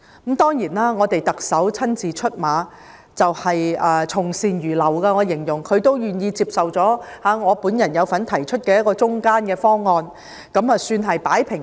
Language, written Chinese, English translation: Cantonese, 後來，特首親自出馬，從善如流，因為她願意接受我有份提出的"中間"方案，也算是"擺平"了事件。, Eventually the matter was dealt with by the Chief Executive herself and was somehow settled because she was willing to adopt the middle proposal which I am one of the proposers